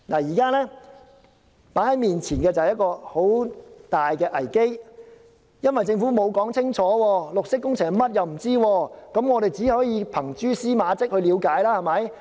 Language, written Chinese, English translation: Cantonese, 現在面前是一個很大的危機，因為政府沒有說清楚，我們連綠色工程是甚麼也不知道，只可憑蛛絲馬跡去了解。, A major crisis lies before us now . Since the Government has not spelt it out clearly we do not even know what green works are other than gleaning the picture from some clues